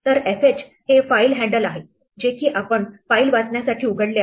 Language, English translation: Marathi, So, fh is the file handle we opened, we want to read from it